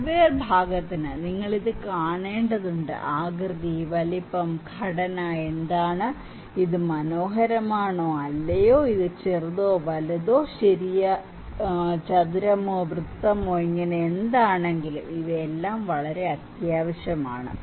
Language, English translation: Malayalam, For hardware part, you need to watch it, what is the shape, size, structure, is it beautiful or not, is it big or small, okay is it round or square so, these are also very necessary